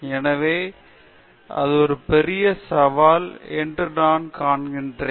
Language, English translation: Tamil, So, I see that it’s a big challenge